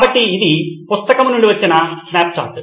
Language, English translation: Telugu, So this is a snapshot from the book